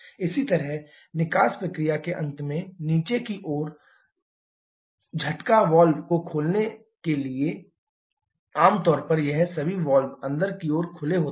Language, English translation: Hindi, Similarly blow down at the end of the exhaust process, to open the valve generally all these valves in commonly open inward